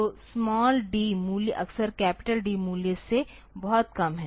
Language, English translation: Hindi, So, D the small D value is often much less than the capital D value